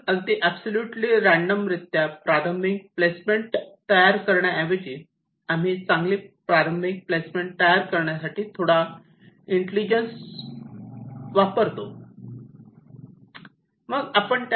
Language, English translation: Marathi, so instead of creating the initial placement absolutely randomly, we use some intelligence to create a reasonably good placement